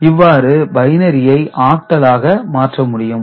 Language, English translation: Tamil, So, this is way from binary to octal conversion can be done